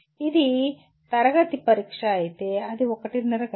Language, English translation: Telugu, If it is class test, it is one and a half hours